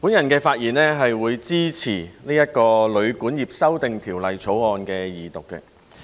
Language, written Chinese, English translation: Cantonese, 我發言支持《2018年旅館業條例草案》的二讀。, I speak in support of the Second Reading of the Hotel and Guesthouse Accommodation Amendment Bill 2018 the Bill